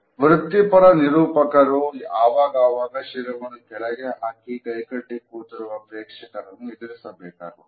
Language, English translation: Kannada, So, professional presenters and trainers are often confronted by audiences who are seated with their heads down and arms folded in a cross